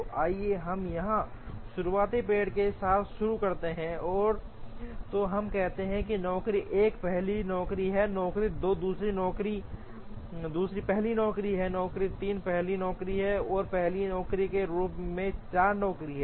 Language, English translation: Hindi, So, let us start here with the starting tree, and then let us say the job 1 is the first job, job 2 is the second first job, job 3 as first job, and job 4 as first job